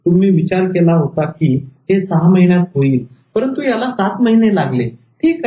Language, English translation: Marathi, You thought it will be over in six months, but it's taking seven months